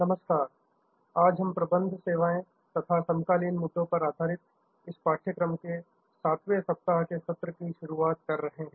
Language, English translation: Hindi, Hello, so we are starting the sessions for the 7th week on this course on Managing Services and contemporary issues